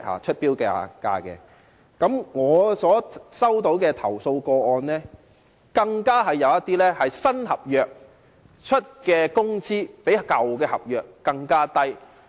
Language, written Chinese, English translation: Cantonese, 在我接獲的投訴個案中，更有一些是新合約提供的工資較舊合約更低。, Among the complaints received by me the wages offered in some new contracts were even lower than those in the old contracts